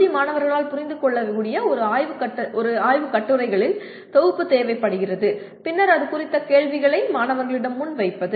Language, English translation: Tamil, It requires collection of a set of research papers that can be understood by the UG students and then posing a set of questions on that to the students